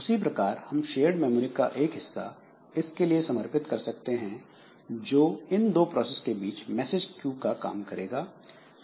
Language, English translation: Hindi, So, similarly, we can have some dedicated part of shared memory which acts as message queue between two processes